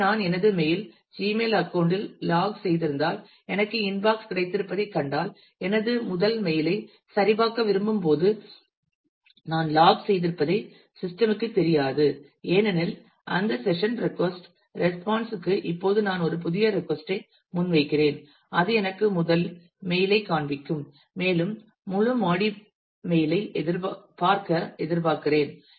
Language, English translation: Tamil, So, if I have logged in to my mail Gmail account and I have seen the I have got the inbox then when I want to check my first mail the system does not know any more that I am logged in because that session request response has is over and now I am making a new request that show me the first mail and I expect to see the whole body